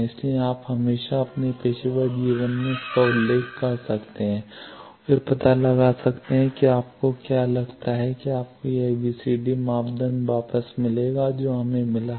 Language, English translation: Hindi, So, you can always refer to that in your professional life and find out then if you find you get back the same ABCD parameter that we got